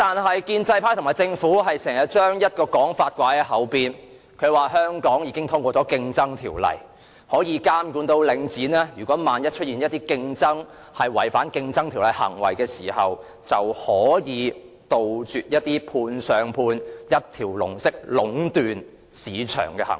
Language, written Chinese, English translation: Cantonese, 可是，建制派和政府常把一種說法掛在嘴邊，就是香港已經通過《競爭條例》，可以監察領展有否出現違反《競爭條例》的行為，也可杜絕判上判、一條龍式壟斷市場的行為。, Nonetheless the pro - establishment camp and the Government always carry this point on their lips namely claiming that with the enactment of the Competition Ordinance in Hong Kong Link REITs practices are kept in check for any violation of the Ordinance and practices of subcontracting and one - stop service operation seeking to monopolize the market will be stamped out